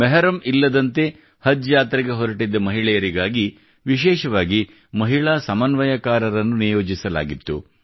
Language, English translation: Kannada, Women coordinators were specially appointed for women going on 'Haj' without Mehram